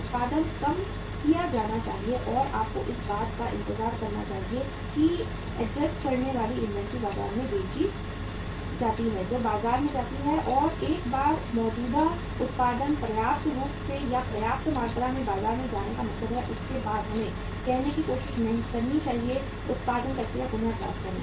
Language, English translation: Hindi, Production should be reduced and you should wait for that the adjusting inventory is sold in the market that goes to the market and once that existing production has sufficiently or means going to the market to the to the sufficient extent then after that we should try to uh say say regain the production process